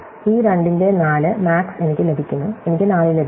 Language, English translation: Malayalam, So, I get this 4 max of these 2, I get 4